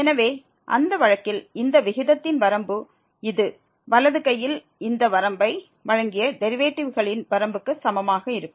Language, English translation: Tamil, So, in that case the limit of this ratio will be equal to the limit of the derivatives provided this limit on the right hand this exist